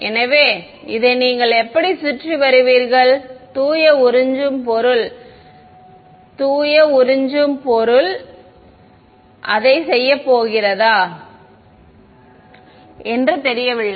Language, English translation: Tamil, So, how will you get around this, it does not seem that just pure absorbing material is not going to do it